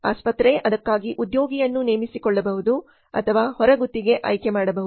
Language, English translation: Kannada, Hospital can hire employee for it or can opt for outsourcing